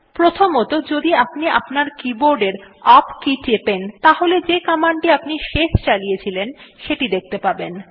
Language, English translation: Bengali, First, normally if you press the up key on your keyboard then it will show the last command that you typed